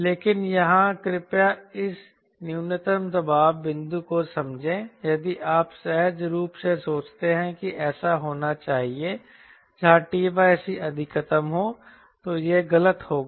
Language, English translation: Hindi, but here please understand this minimum pressure point if you intuitively think that it should happen where t by c is maximum, then that will be wrong